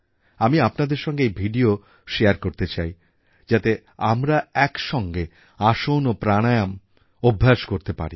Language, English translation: Bengali, I will share these videos with you so that we may do aasans and pranayam together